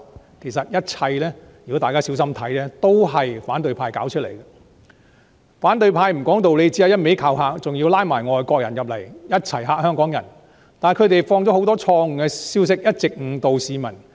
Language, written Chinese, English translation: Cantonese, 反對派不講道理，只是一直用威嚇的方式危言聳聽，還要拉攏外國人來嚇煞香港人，但他們傳播了很多錯誤的消息，一直誤導市民。, Irrational the opposition has been using scare tactics to raise alarmist talk and has even teamed up with foreigners to instill hear in Hongkongers . But they have spread a lot of wrong information misleading people all along